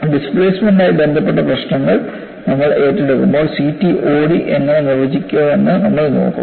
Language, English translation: Malayalam, When we take up the issues related to displacement and so on, we will look at how CTOD is defined